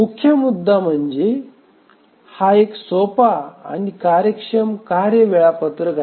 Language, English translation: Marathi, The strong point is that it's a simple and efficient task scheduler